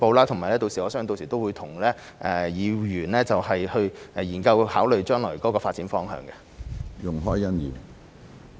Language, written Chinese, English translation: Cantonese, 同時，我相信我們屆時亦會與議員研究及考慮將來的發展方向。, At the same time I believe that we will then examine and consider the way forward with Members